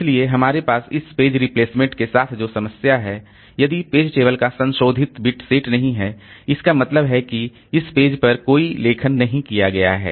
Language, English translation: Hindi, So, the problem that we had with this page replacement is that if the bit is not more, if the page table entry the modified bit is not set, that means the there is no right that has been done onto this page